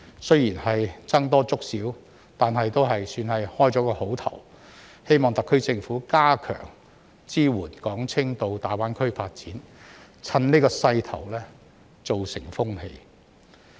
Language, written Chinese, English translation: Cantonese, 雖然僧多粥少，但也算是好開始，希望特區政府加強支援港青到大灣區發展，趁此勢頭形成風氣。, Although there are not enough jobs to go around it is already a good start . I hope that the SAR Government will strengthen its support for young people of Hong Kong to pursue development in GBA and take the opportunity to turn it into a trend